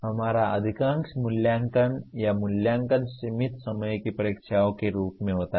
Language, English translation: Hindi, Most of our evaluation or assessment is in the form of limited time examinations